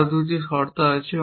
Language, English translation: Bengali, There are two more conditions